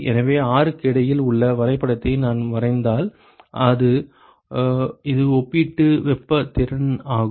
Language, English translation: Tamil, So, if I sketch the graph between the R which is the relative thermal capacity ok